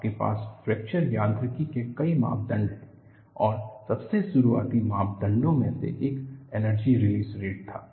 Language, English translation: Hindi, You have several parameters in fracture mechanics and one of the earliest parameters that was used was energy release rate